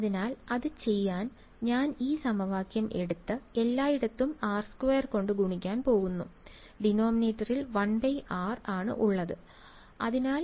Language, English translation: Malayalam, So, to do that I am going to take this equation and just multiply everywhere by r square; I do not like to have the 1 by r in the denominator